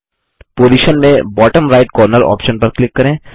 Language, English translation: Hindi, In Position, click the bottom right corner option